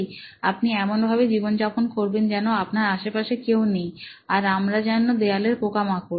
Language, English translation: Bengali, You go through life as if there is nobody around, we are just bugs on the wall